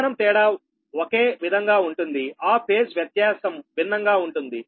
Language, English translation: Telugu, so, but magnitude will remain same, only that phase difference will be different